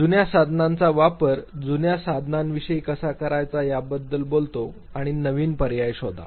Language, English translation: Marathi, Having talked about how to use the old tools the old apparatus and search for new alternatives